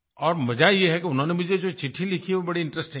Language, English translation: Hindi, And the best part is, what she has written in this letter is very interesting